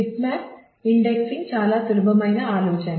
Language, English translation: Telugu, Bitmap indexing is a very simple idea